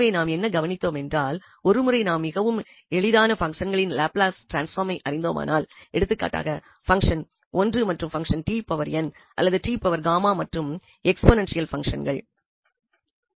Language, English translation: Tamil, So, what we have observed that once we know the Laplace transform of very simple functions that to function 1 for instance, the function t power n or t power gamma and the exponential functions